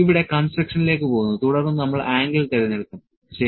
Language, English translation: Malayalam, And will go to construction here then will select the angle, ok